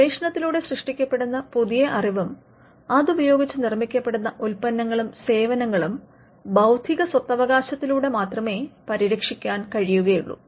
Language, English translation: Malayalam, So, if new knowledge is created through research and if that new knowledge is applied into the creation of products and services, the only way you can protect them is by intellectual property rights